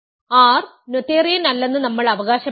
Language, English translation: Malayalam, We claim that R is not noetherian, R is not noetherian